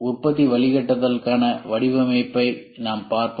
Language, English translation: Tamil, Then design for manufacturing guidelines we will see